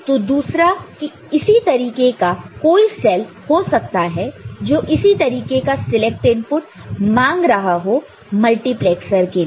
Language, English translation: Hindi, So, there could be other such cell which is asking for same kind of you know, select input for the multiplexer for that particular stage